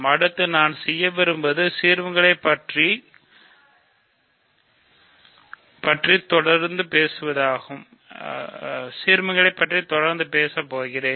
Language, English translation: Tamil, What I want to do next is continue talking about ideals